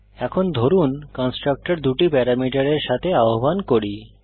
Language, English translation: Bengali, Suppose now call a constructor with two parameters